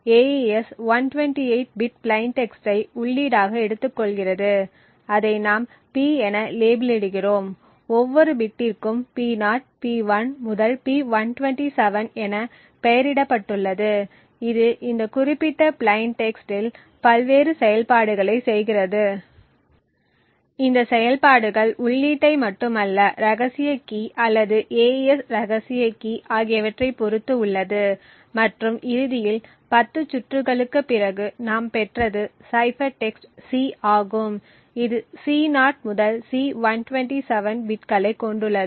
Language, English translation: Tamil, The AES takes 128 bit plain text as input which we label her as P and each bit is labelled P0 P1 to P127 it does various operations on this particular plain text, these operations not only depend on the input but also on the secret key or the AES secret key and eventually after 10 rounds what we obtained is the cipher text C which comprises of bits C0 to C127